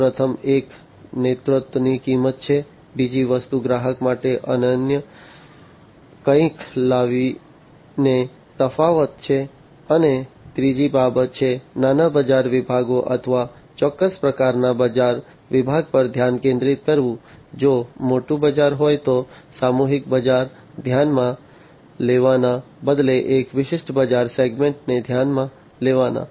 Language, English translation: Gujarati, The first one is the cost of leadership, the second thing is the differentiation by bringing something that is unique to the customers, and the third is the focus on a small market segment or a specific type of market segment, a niche market segment, rather than considering a mass market, if you know a bigger market